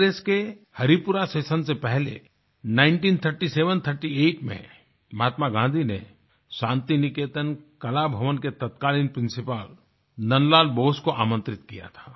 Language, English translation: Hindi, Before the Haripura Session, in 193738, Mahatma Gandhi had invited the then Principal of Shantiniketan Kala Bhavan, Nandlal Bose